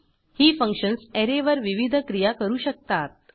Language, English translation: Marathi, These functions can perform various operations on an Array